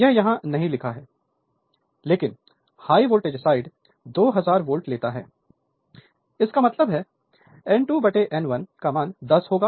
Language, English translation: Hindi, So, it is not written here, I have missed it here so, high voltage side you take 2000 volt; that means, you are; that means, you are N 2 by N 1 is equal to it will be 10 right